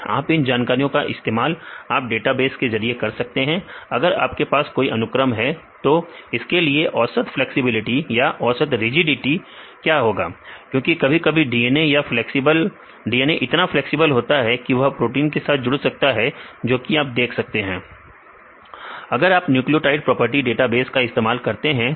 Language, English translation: Hindi, So, you can use these information available in database to see if you have any sequence what is the average flexibility or average rigidity because sometime with the nuclei they DNA flexible enough to interact with the protein and you can see if you use this data from this nucleotide property database